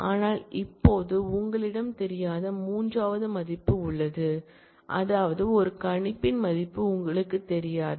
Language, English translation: Tamil, But now, you have a third value unknown that is, you may not know the value of a predicate